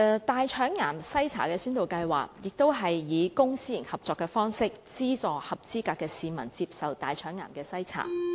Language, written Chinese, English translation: Cantonese, 大腸癌篩查先導計劃亦是以公私營合作的方式，資助合資格市民接受大腸癌篩查。, The Colorectal Cancer Screening Pilot Programme which also operates by way of public - private partnership subsidizes eligible members of the public to undergo colorectal cancer screening